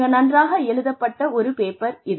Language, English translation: Tamil, It is a brilliantly written paper